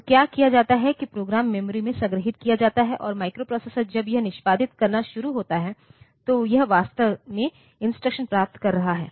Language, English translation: Hindi, So, what is done is that the program is stored in the memory and as I said that microprocessor, any microprocessor when it starts executing, it is actually getting the instruction